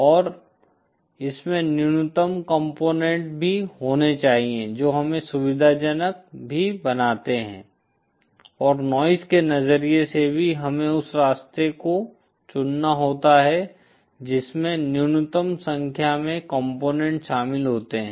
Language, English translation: Hindi, And also it should have the minimum number of components that makes us convenient also and from a noise perspective also where we have to choose the path which involves the minimum number of components